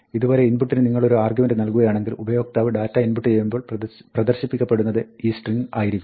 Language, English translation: Malayalam, If you put an argument to input like this, then, it is a string which is displayed when the user is supposed to input data